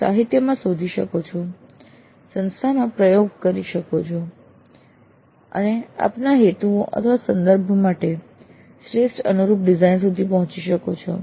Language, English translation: Gujarati, You can search the literature, you can experiment in the institute and arrive at the design which best suits your purposes, your context